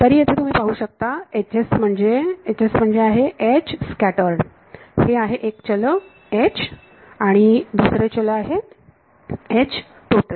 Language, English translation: Marathi, So, here you can see H s is H scattered that is one of the variables H is H total that is one of the variables